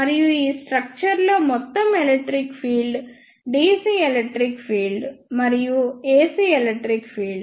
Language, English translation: Telugu, And the overall electric field in this structure will be sum of dc electric field and the ac electric field